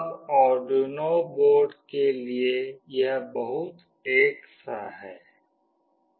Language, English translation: Hindi, Now, for Arduino board it is very similar